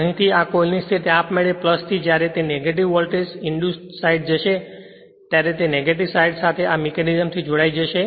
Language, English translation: Gujarati, The here this coil position from plus when it will go to the negative voltage induced automatically it will be connected to the negative side by this mechanism